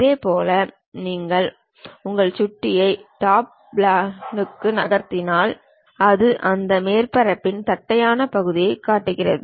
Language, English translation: Tamil, Similarly, if you are moving your mouse on to Top Plane, it shows flat section of that surface